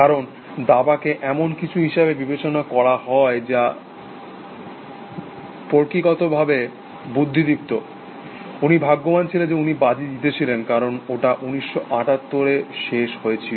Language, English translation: Bengali, Because, chess was considered to be something which is very intellectual in nature, well luckily for him, he won his bet, which is because it ended in 1978